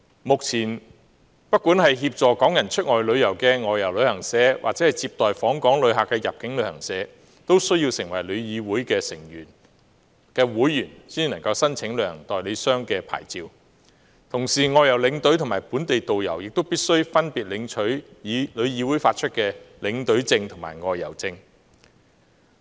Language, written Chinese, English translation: Cantonese, 目前，不管是協助港人出外旅遊的外遊旅行社或接待訪港旅客的入境旅行社，均須成為旅議會的會員才能申請旅行社代理商的牌照，同時外遊領隊及本地導遊亦必須分別取得旅議會發出的領隊證和導遊證。, At present both outbound travel agents assisting Hong Kong people in outbound tours and inbound travel agents receiving visitors in Hong Kong have to become members of TIC before they can apply for travel agent licences . Furthermore outbound tour escorts and local tourist guides have to obtain tour escort passes and tourist guide passes issued by TIC respectively